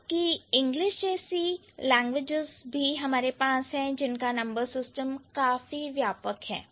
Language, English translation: Hindi, On the other hand, we have languages like English, English has multiple, like the number system is quite wide, right